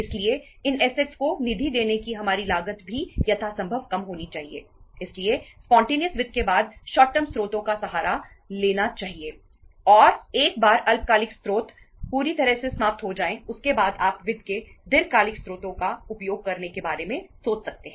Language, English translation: Hindi, So after spontaneous finance resort to the short term sources and once the short term sources are fully exhausted then you can think of utilizing the long term sources of the finance